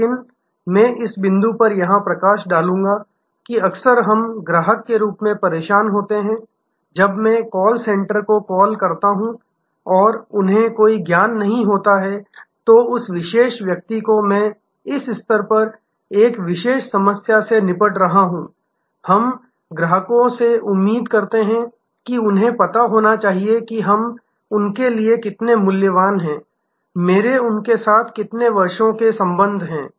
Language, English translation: Hindi, But, let me highlight here at this point that often we are annoyed as customers, when I call up the call center and they have no knowledge, that particular person I am dealing with a one particular problem at this stage, we as customers expect that they must know how valuable we have been for them, how many years of relationship they have had with me